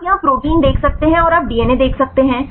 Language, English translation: Hindi, You can see the protein here right and you can see the DNA